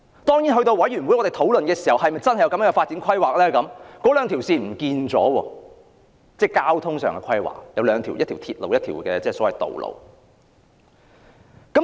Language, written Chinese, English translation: Cantonese, 當然，到了正式討論的時候，發展規劃已不見那兩條路線：一條是鐵路，一條是道路。, Of course when the project was formally discussed those two routes namely a railroad and a road had disappeared from the building plan